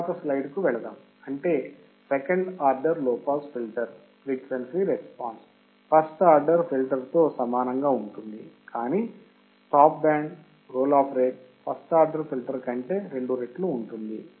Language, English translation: Telugu, The frequency response of the second order low pass active filter is identical to that of first order, except that the stop band roll off rate will be twice of first order